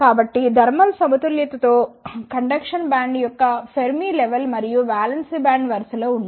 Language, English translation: Telugu, So, in the thermal equilibrium the Fermi level of the conduction band and the valence band will line up